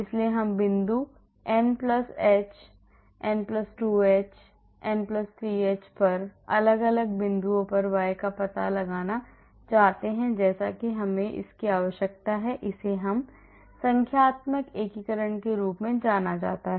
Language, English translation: Hindi, So, we want to find out y at different points at point n+h, n+2h, n+3h like that we need to this is known as a numerical integration